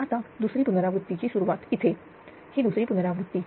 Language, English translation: Marathi, Now, now second iteration starts here this is second iteration